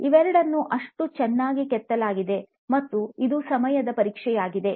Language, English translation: Kannada, Both of these are sculptured so well and it is to the test of time